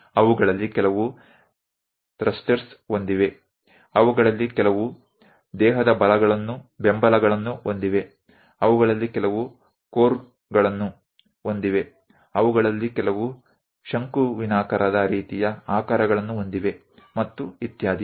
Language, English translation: Kannada, Some of them having thrusters, some of them having body supports, some of them having cores, some of them having conical kind of shapes and so on so things